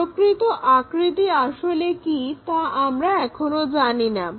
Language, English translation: Bengali, What we do not know is true shape